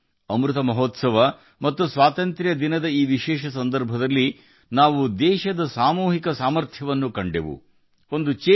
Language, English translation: Kannada, On this special occasion of Amrit Mahotsav and Independence Day, we have seen the collective might of the country